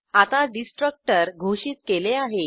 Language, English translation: Marathi, Now we have defined a Destructor